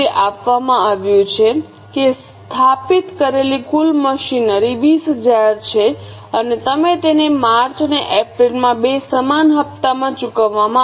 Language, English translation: Gujarati, It is given that total machinery installed is 20,000 and it is to be paid in two equal installments in March and April